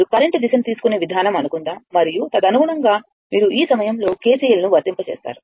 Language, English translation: Telugu, Suppose ah the way you take the direction of the current and accordingly you apply KCL at this point right